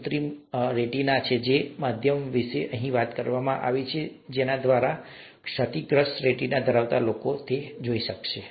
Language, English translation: Gujarati, This is artificial retina which talks about a means by which people with damaged retina could be, would be able to see